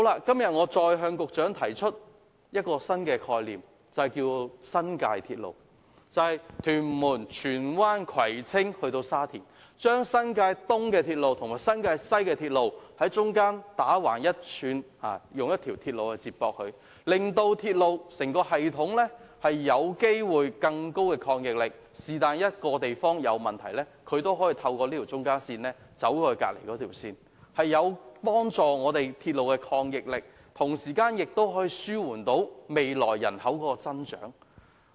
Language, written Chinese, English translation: Cantonese, 今天我再向局長提出一個新概念，稱之為新界鐵路，由屯門、荃灣、葵青至沙田，在新界東鐵路與新界西鐵路之間接駁一條橫向的鐵路，提高整個鐵路系統的應變能力，一旦某地區出現問題，便可以透過這條中間線將乘客轉移到另一條線，同時亦可紓緩未來人口增長的運輸需求。, Today I would like to put forth another proposal to the Secretary the New Territories Railway which goes from Tuen Mun Tsuen Wan Kwai Tsing to Sha Tin providing an east - to - west link between railway lines in New Territories East and New Territories West to enhance the flexibility of the entire railway system . Once a problem arises in a certain district passengers can readily change to another line by means of this link . It can also address the transportation demand of the future population growth